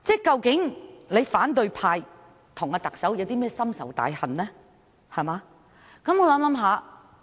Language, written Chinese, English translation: Cantonese, 究竟反對派與特首有些甚麼深仇大恨？, Why is there such deep animosity between the opposition camp and the Chief Executive?